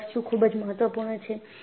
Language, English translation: Gujarati, And this is very very important